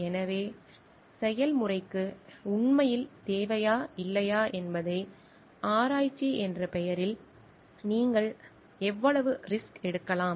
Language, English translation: Tamil, So, how much risk you can take in the name of research whether it is actually required for the process or not